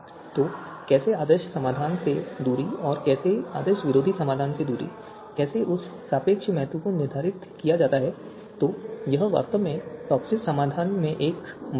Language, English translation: Hindi, So how you know you know how the distance from the ideal solution and how the distance from anti ideal solution how that importance how the relative importance is to be you know determined so that is actually not you know that is actually one issue in TOPSIS solution